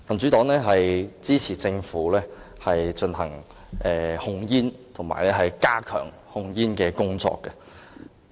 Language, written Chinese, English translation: Cantonese, 民主黨支持政府進行控煙和加強控煙工作。, The Democratic Party supports the Governments tobacco control effort and its stepping up of the same